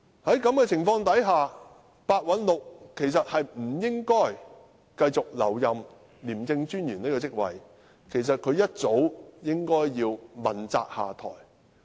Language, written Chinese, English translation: Cantonese, 在這情況下，白韞六其實不應繼續留任廉政專員這職位，一早應該要問責下台。, Such being the case Simon PEH actually should not remain in office as the Commissioner of ICAC and he should have been held accountable and stepped down